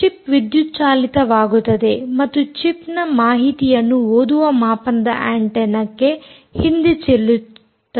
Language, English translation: Kannada, the chip powers and the chip backscatters information back to the reader antenna